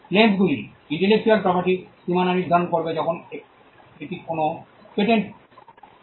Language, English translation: Bengali, The claims will demarcate the boundaries of the intellectual property when it comes to a patent right